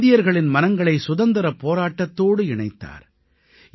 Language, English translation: Tamil, He integrated the Indian public with the Freedom Movement